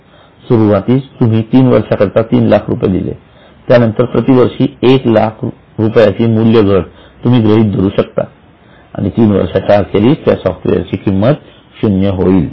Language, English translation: Marathi, In the beginning if you pay 3 lakhs for 3 years, then you can calculate that for each year 1 lakh rupees is a fall in the value of that software